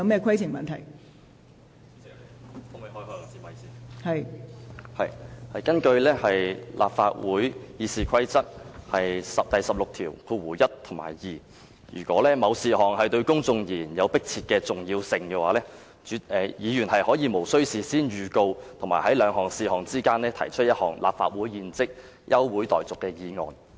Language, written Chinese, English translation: Cantonese, 根據立法會《議事規則》第161及2條，如果某事項對公眾而言有迫切重要性，議員可以無須事先預告，在兩事項之間提出一項立法會現即休會待續的議案。, Under Rule 161 and Rule 162 of the Rules of Procedure RoP a motion that the Council do now adjourn may be moved without notice between two items of business by a Member for the purpose of discussing a specific issue of urgent public importance